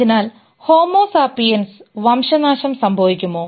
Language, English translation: Malayalam, So, will homo sapiens be extinct